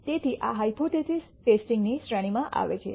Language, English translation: Gujarati, So, these are come under the category of hypothesis testing